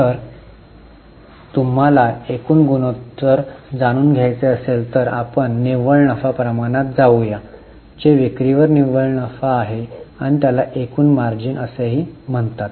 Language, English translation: Marathi, If you want to know the gross ratio then we go for gross profit ratio which is gross profit upon sales this is also known as gross margin